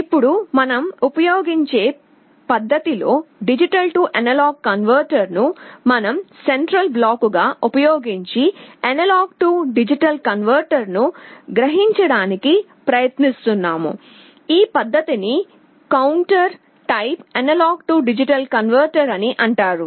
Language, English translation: Telugu, The methods that we talk about now use a D/A converter as our central block, and using that we are trying to realize an A/D converter